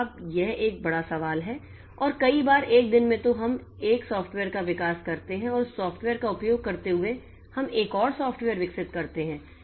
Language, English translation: Hindi, And many a time, many a day so we develop one piece of software and using that software we develop another software